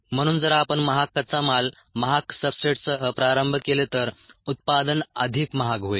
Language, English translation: Marathi, so if you start with an expensive raw material, expensive substrate, the product is going to turn out to be more expensive